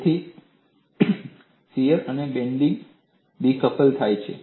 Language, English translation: Gujarati, So, the shear and bending are decoupled; they are coupled